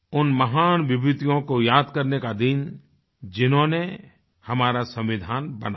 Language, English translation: Hindi, A day to remember those great personalities who drafted our Constitution